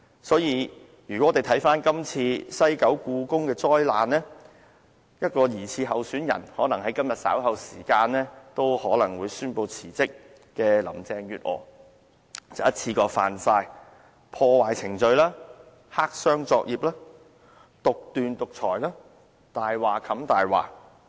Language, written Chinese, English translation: Cantonese, 所以，如果我們看看今次西九故宮博物館的災難，一名疑似候選人——可能在今天稍後時間宣布辭職的林鄭月娥——已一次過觸犯破壞程序、黑箱作業、獨斷、獨裁、"以大話冚大話"的惡行。, For that reason if we look at the disaster of the Hong Kong Palace Museum in the West Kowloon Cultural District we will see that a probable candidate Carrie LAM who is likely to announce her resignation later today has already committed several sins in one go such as undermining the due process clandestine operation autocracy and using a lie to cover up another lie